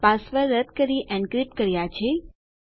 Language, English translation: Gujarati, We have encrypted our password